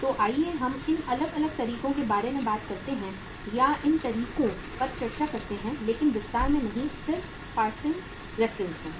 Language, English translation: Hindi, So uh let us talk about these different methods or discuss these methods but not in detail, just in the passing reference